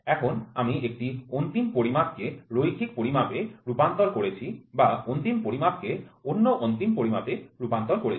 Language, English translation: Bengali, Now I have converted an end measurement into a linear measurement or an end another end measurement